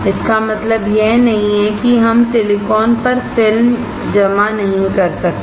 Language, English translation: Hindi, That does not mean that we cannot deposit film on silicon